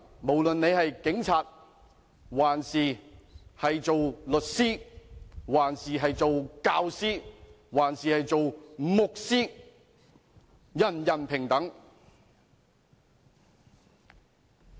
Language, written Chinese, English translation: Cantonese, 無論你是警察、律師、教師還是牧師，人人平等。, Be it a police officer a lawyer a teacher or a pastor all are equal